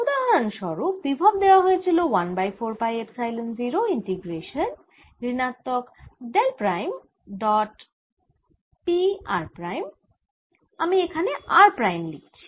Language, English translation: Bengali, for example, the potential was given as one or four pi, epsilon, zero and integral minus del prime, dot, p r prime